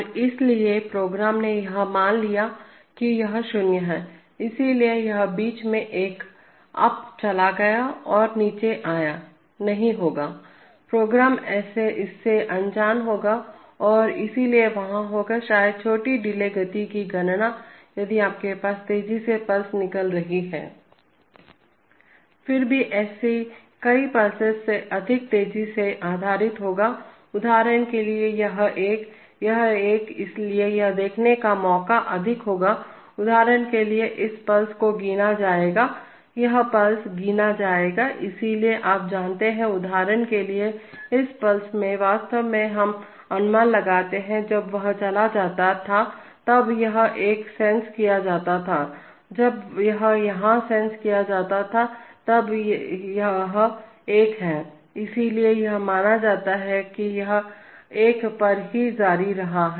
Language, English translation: Hindi, And so the program assumed that, that it remains zero, so one, that it went up to one in between and came down is not, will be, the program will be unaware of that and therefore there will be, perhaps small delay in the computation of the speed, if you have faster pulses coming out, Still faster than many such pulses will be based, for example this one, this one, this one, so it will be more of a chance to see when, for example this pulse will be counted, this pulse will be counted, so you will get, you know, you will get drastic, for example in this pulse actually we inferred, when it went was sensed here it was one, when it is sensed here it is also one, so therefore it will be assumed that it continued at one